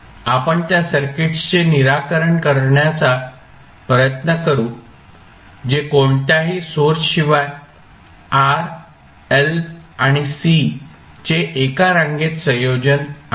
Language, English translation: Marathi, We will try to find the solution of those circuits which are series combination of r, l and c without any source